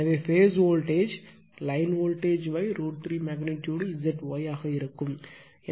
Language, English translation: Tamil, So, phase voltage will be line voltage by root 3 magnitude Z Y just you are making the magnitude